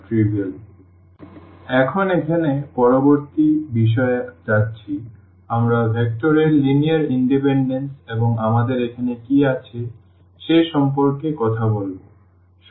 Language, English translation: Bengali, Well, so, now going to the next topic here we will be talking about linear independence of vectors and what do we have here